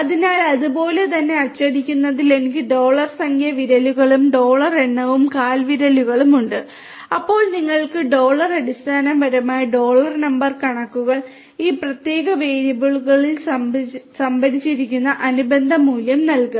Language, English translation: Malayalam, So, similarly printing I have dollar number of figures fingers and dollar number of toes, then you will get the corresponding values the dollar basical dollar number figures will give you the corresponding value that is stored in this particular variable